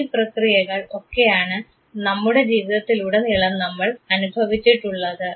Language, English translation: Malayalam, These are the processes that all of us experienced throughout our life